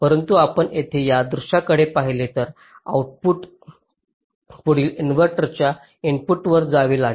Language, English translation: Marathi, so this output has to go to the input of the next inverter